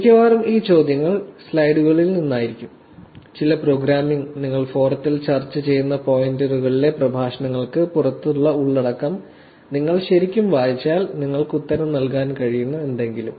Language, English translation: Malayalam, Mostly these questions will be from slides, some programming; something that should actually be able to answer if you actually read content outside the lectures in the pointers that we discuss in the forum also